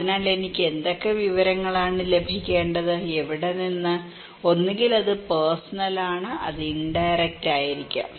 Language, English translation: Malayalam, so, which informations I should get and from where so, either it is personal, it could be indirect